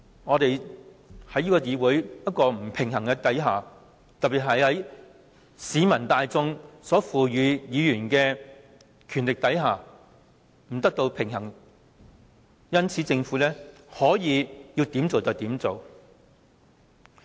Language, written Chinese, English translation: Cantonese, 我們在這個不平衡的議會裏，特別在受市民大眾賦予權力的議員席位不能與建制派抗衡的情況下，政府想要怎樣做就怎樣做。, In this imbalanced legislature especially under the circumstance that we who have a clear public mandate cannot contend against the pro - establishment camp the Government can do whatever it wants